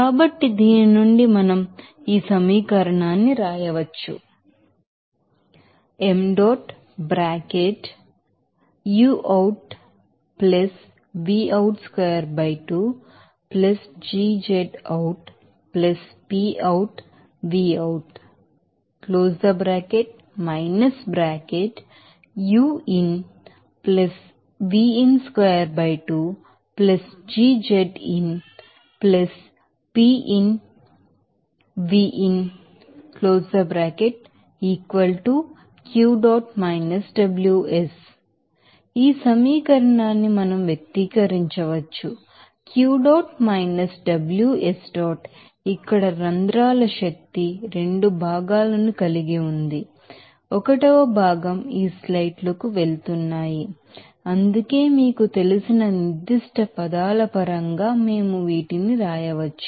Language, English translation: Telugu, So, from this we can write this equation and we can then express this equation that will be , here in this case pore energy has 2 components 1 components is going to these sites that is why we can write these you know in terms of that specific you know, terms there